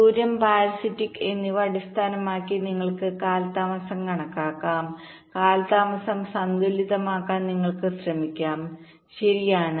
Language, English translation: Malayalam, we can estimate the delay based on the distance and the parsitics and you can try to balance the delays right